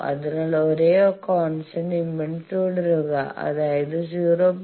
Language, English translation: Malayalam, So, staying on the same constant resistance; that means, 0